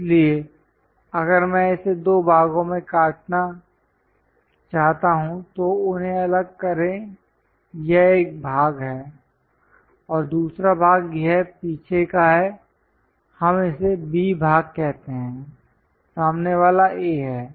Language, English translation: Hindi, So, if I want to really cut it into two parts separate them out this is one part and the other part is this back one let us call B part, the front one is A